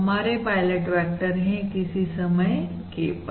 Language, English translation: Hindi, this is the pilot vector at time k